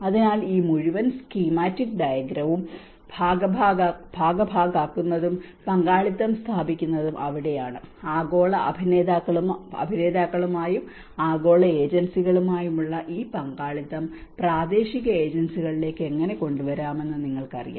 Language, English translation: Malayalam, So, that is where this whole schematic diagram puts participation and partnerships, you know how we can bring these partnerships with the global actors, global agencies to the local agencies